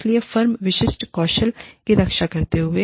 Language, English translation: Hindi, So, you protect your firm specific skills